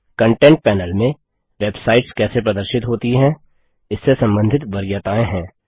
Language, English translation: Hindi, The Content panel contains preferences related to how websites are displayed